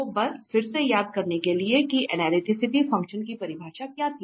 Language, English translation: Hindi, So, just to recall again that what was the analytic the definition for analytic function